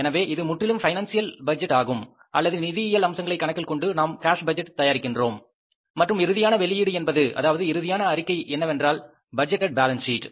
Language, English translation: Tamil, So, this is purely the financial budget or is taking into consideration the financial aspects of the budget and we prepare the budget that is the cash budget and end result is the last and final statement is the budgeted balance sheet